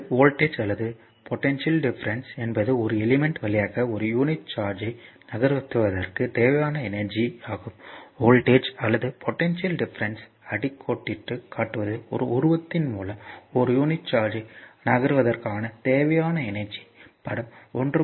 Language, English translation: Tamil, So, thus voltage or potential difference is the energy required to move a unit charge through an element right you will just I just I say thus why underline the voltage or potential difference is the energy require to move a unit charge through an element like figure look at the figure, figure 1